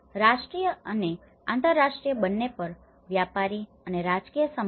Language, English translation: Gujarati, Commercial and political contacts at both national and international